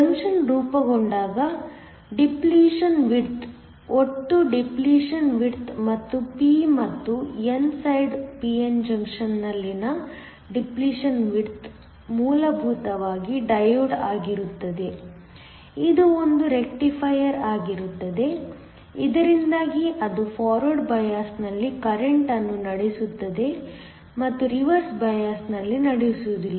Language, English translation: Kannada, When a junction is formed the depletion widths, the total depletion widths and also the depletion width on the p and the n side a p n junction is essentially a diode, it is a rectifier, so that it conducts current in the forward bias and does not conduct in the reverse bias